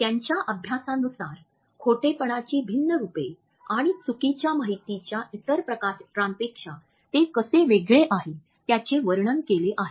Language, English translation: Marathi, His study describes how lies vary in form and can differ from other types of misinformation